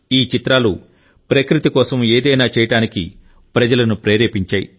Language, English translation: Telugu, These images have also inspired people to do something for nature